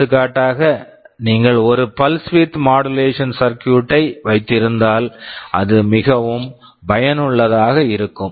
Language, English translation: Tamil, For example, you can have a pulse width modulation circuit which is very useful as we shall see later